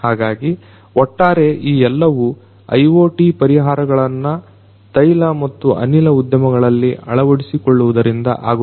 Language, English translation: Kannada, So, overall this is what is going to happen in the oil and gas industry through the integration of IoT solutions